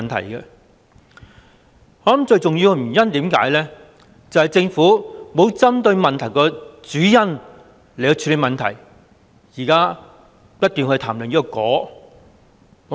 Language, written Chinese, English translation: Cantonese, 我認為最重要的原因，就是政府沒有針對問題的主因來處理問題，現在不斷談論"果"。, In my view the most important reason is the Governments failure to deal with the problem by targeting its main cause . Now it keeps talking about the consequences